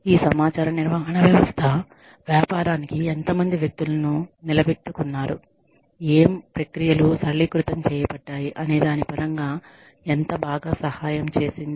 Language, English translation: Telugu, So, how well, has this information management system, helped your business, in terms of, how many people are retained, what processes are simplified